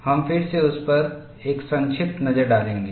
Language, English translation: Hindi, We will again have a brief look at that